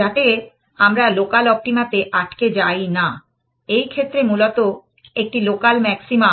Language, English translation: Bengali, So, that we do not get stuck at a local optima, in this case a local maxima essentially